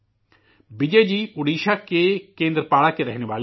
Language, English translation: Urdu, Bijayji hails from Kendrapada in Odisha